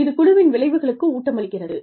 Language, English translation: Tamil, That feeds into the, team outcomes